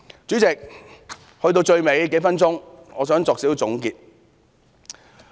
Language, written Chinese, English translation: Cantonese, 主席，到最後數分鐘，我想作少許總結。, President I wish to sum up briefly in the last few minutes